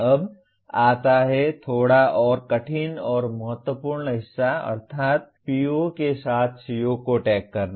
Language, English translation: Hindi, Now come, the a little more difficult and critical part namely tagging the COs with POs